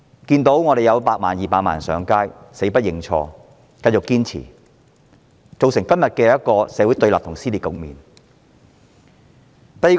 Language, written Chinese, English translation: Cantonese, 即使100萬、200萬人上街，她仍堅持死不認錯，造成今天社會對立及撕裂的局面。, Even after 1 million and 2 million people had taken to the streets she adamantly refused to admit her fault resulting in the current confrontations and dissensions in society